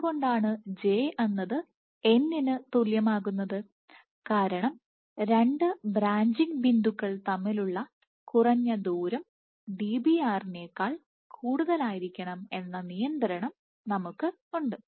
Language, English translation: Malayalam, Why j is less equal to n because we have the constraint that minimum distance between two branching points minimum distances to branching points has to be greater than Dbr